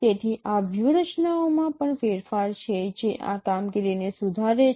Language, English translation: Gujarati, So there are also modification of the strategies which improves this performance